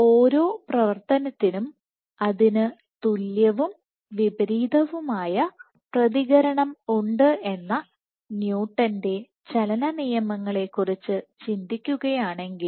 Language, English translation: Malayalam, So, if I want to think of Newton’s laws of motion to every action there is an equal and opposite reaction